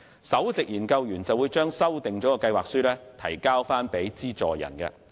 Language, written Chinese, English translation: Cantonese, 首席研究員會將修訂的計劃書向資助人提交。, The principal researcher will submit the revised proposal to the grantor